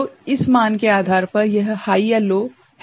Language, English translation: Hindi, So, based on this value, based on this value, this is high or low